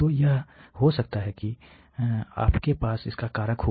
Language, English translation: Hindi, So, that you can have this has factor coming out